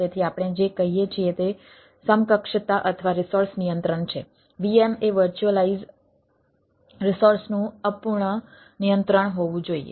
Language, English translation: Gujarati, so what we say it is equivalence or resource control the vm should be incomplete control of the virtualize resource